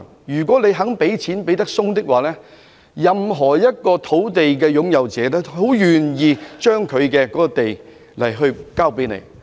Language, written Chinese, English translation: Cantonese, 如果政府願意"手鬆"一點，任何一塊土地的擁有人都會樂意把土地交還政府。, If the Government is willing to be more generous landowners would be more than happy to surrender his land to the Government